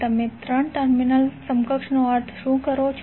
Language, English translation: Gujarati, What do you mean by 3 terminal equivalents